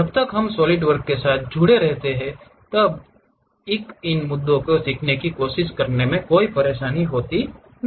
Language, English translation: Hindi, As long as we are sticking with Solidworks trying to learn these issues are not really any hassle thing